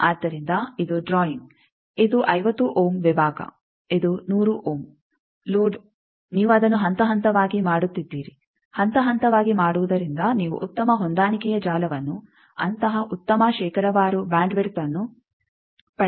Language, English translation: Kannada, So, this is the drawing, this is the 50 ohm section, this is the 100 ohm load by you are progressively making it by progressive making you get a good matching network such a good bandwidth percentage wise see it is a very wide band design